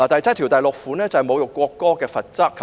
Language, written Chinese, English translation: Cantonese, 該條文是有關侮辱國歌的罰則。, The clause concerns the penalty for insulting the national anthem